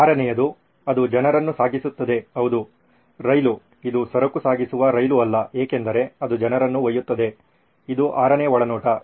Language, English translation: Kannada, The sixth one it carries people yes train for sure, it is not freight train because it carries people, this is the sixth insight